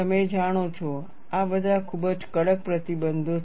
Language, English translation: Gujarati, You know, these are all very stringent restrictions